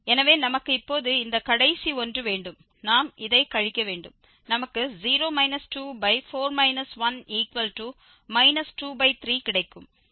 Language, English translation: Tamil, So, we have this now in this the last one, we have to subtract this 0 minus 2 that is minus 2 and then we have to subtract 4 minus 1